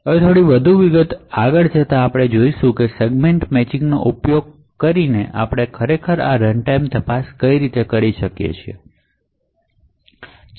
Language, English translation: Gujarati, Now going a bit more into detail we would see how we actually do this runtime checks using Segment Matching